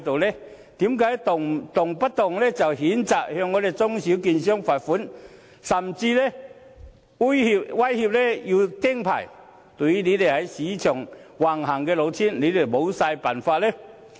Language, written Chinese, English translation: Cantonese, 為何動輒譴責中小券商，並罰款，甚至威脅要"釘牌"，但對這些在市場橫行的老千，卻毫無辦法呢？, Why does it condemn small and medium securities dealers impose fines on them and even threaten to revoke their licences so very lightly all the time while doing nothing to stop all the swindlers from rampaging across the market?